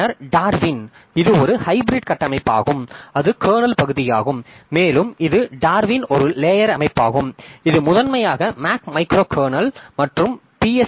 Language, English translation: Tamil, Then Darwin, so Darwin it is a hybrid structure, the kernel part and it and is shown Darwin is a layered system which consists of primarily the, consists primarily the MAC micro kernel and BSD Unix kernel